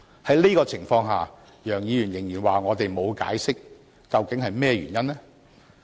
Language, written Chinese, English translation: Cantonese, 在這個情況下，楊議員仍然說我們沒有解釋，究竟是甚麼原因呢？, Given these circumstances why did Mr YEUNG still allege that we did not provide any explanation?